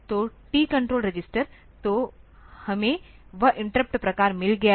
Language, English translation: Hindi, So, tcon register; so, we had got that interrupt types that